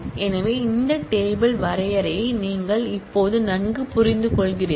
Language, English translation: Tamil, So, this create table definition you understand well by now